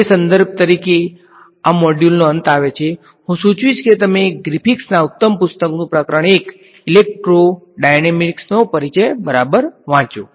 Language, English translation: Gujarati, That brings us to an end of this module as reference; I will suggest that you read Chapter 1 of a Griffiths excellent book Introduction to Electrodynamics alright